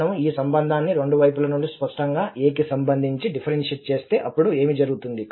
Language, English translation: Telugu, If we differentiate this relation, obviously both the sides with respect to a then what will happen